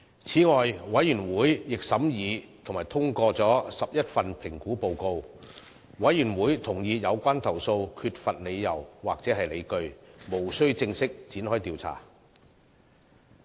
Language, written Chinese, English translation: Cantonese, 此外，委員會亦審議及通過了11份評估報告，委員會同意有關投訴缺乏理由或理據，無須正式展開調查。, In addition the Committee also considered and endorsed 11 assessment reports . The Committee agreed that there were no grounds or justifications in these complaints which would warrant formal investigations